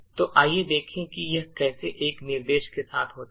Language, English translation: Hindi, So, let us see how this happens with a single instruction, okay